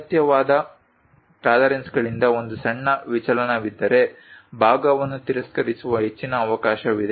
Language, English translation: Kannada, A small deviation from the required tolerances there is a high chance that part will be get rejected